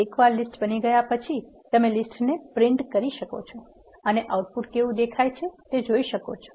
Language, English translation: Gujarati, Once you create a list you can print the list and see how the output looks